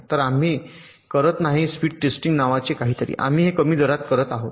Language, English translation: Marathi, so we are not doing something called at speed testing, we are doing it in a slower rate